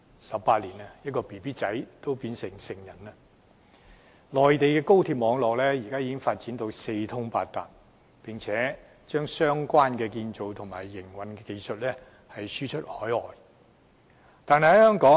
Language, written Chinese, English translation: Cantonese, 十八年的時間，嬰兒也長大成人了。內地高鐵網絡發展至今已四通八達，更把相關建造和營運技術輸出海外。, In the course of these 18 years which is time enough for a baby to grow to adulthood the high - speed rail network in the Mainland has grown into an extensive system and is now exporting construction and operation know - how overseas